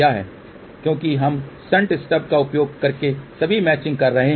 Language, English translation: Hindi, Because we are doing all the matching using shunt stub